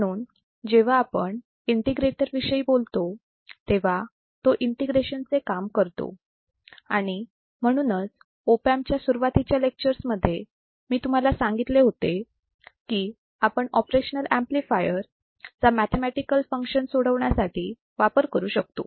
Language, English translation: Marathi, So, when you talk about the integrator, it performs the function of integration that is why in the starting of the op amp lectures, I told you the operational amplifier can be used to solve the mathematical functions